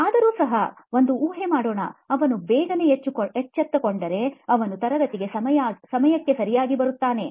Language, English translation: Kannada, So, but still the assumption is that if they woke up early, they would be on time to the class